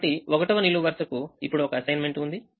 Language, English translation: Telugu, so the first column has an assignment